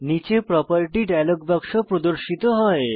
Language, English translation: Bengali, The property dialog box opens below